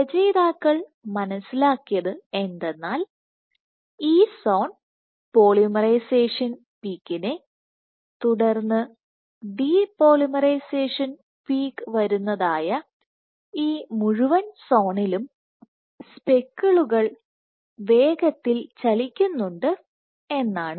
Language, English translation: Malayalam, So, this entire zone where you have polymerization peak followed by the depolymerization rated is also the zone where the speckles are fast moving